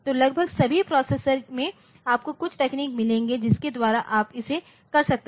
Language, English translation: Hindi, So, almost all the processors you will find some technique by which you can do it